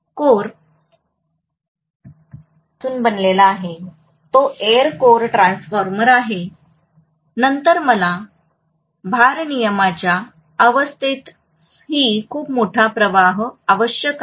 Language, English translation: Marathi, So the core is made up of an, it is an air core transformer then I am going to require a very very large current even under no load condition, got it